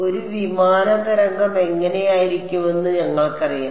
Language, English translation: Malayalam, We already know what a plane wave looks like right